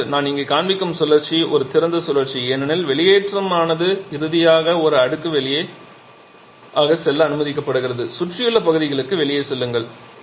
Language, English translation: Tamil, Now, the cycle that I am showing here that is open cycles because the exhaust is finally allowed to go through a stack go out to the surrounding